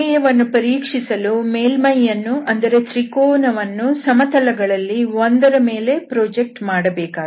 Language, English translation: Kannada, And now to verify, we have to project the surface, the triangle into one of the planes